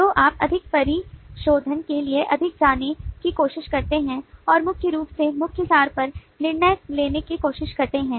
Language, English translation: Hindi, so then you try to be more going to, more refinement and primarily try to design on key abstractions